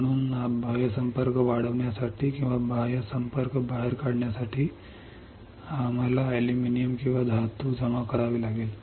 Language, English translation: Marathi, So, for growing out the external contact or for taking out the external contact, we have to deposit aluminium or a metal